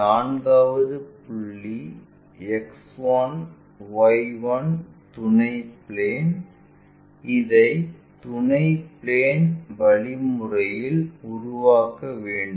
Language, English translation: Tamil, 4th point: X 1 Y 1 auxiliary plane this has been constructed from this auxiliary thing at a suitable distance